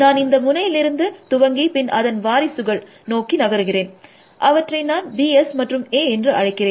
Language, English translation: Tamil, So, what does that mean, I start with this node itself then my successors; I call them as B S and A S